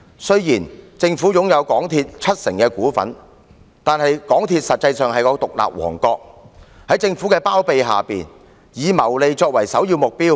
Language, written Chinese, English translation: Cantonese, 雖然政府擁有港鐵公司七成股份，但港鐵公司實際上是獨立王國，在政府的包庇下，以謀利作為首要目標。, Despite the Governments 70 % stake in MTRCL the Corporation is in fact an independent kingdom which accords top priority to making profits under the umbrella of the Government